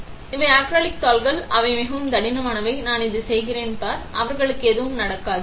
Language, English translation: Tamil, So, these are acrylic sheets they are very thick right, see I am doing this, nothing happens to them